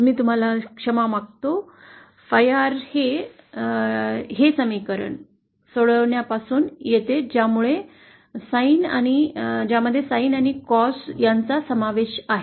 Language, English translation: Marathi, I beg your pardon, phi R comes from the solution of this equation this equation involving Sin and Cos